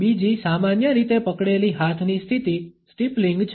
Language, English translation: Gujarati, Another commonly held hand position is that of steepling